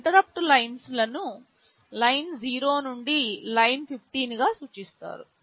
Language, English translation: Telugu, These interrupt lines are referred to as Line0 up to Line15